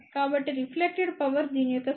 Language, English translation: Telugu, So, reflected power will be square of this which is 0